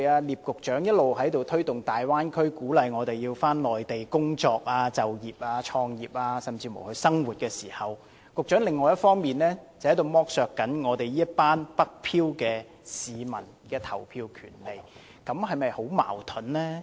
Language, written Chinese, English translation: Cantonese, 聶局長一方面一直推動大灣區發展，鼓勵我們到內地工作、就業、創業甚至生活，另一方面卻剝削"北漂"市民的投票權利，這是否很矛盾呢？, On the one hand Secretary Patrick NIP has been promoting the development of the Bay Area and encouraging us to work seek employment start businesses and even live on the Mainland but on the other hand he has deprived northward drifters of their right to vote . Is this not contradictory?